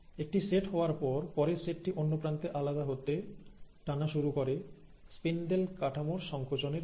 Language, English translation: Bengali, So one set goes here, the next set is starting to get pulled apart at the other end, thanks to the contraction of this spindle network